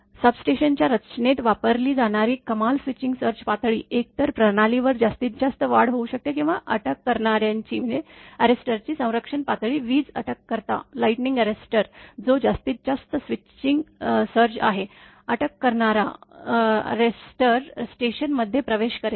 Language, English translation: Marathi, The maximum switching surge level used in the design of a substation, is either the maximum surge that can take place on the system, or the protective level of the arrester that is lightning arrester which is the maximum switching surge the arrester will allow into the station